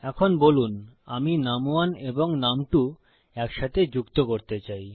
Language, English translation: Bengali, Okay, now, say I want to add num1 and num2 together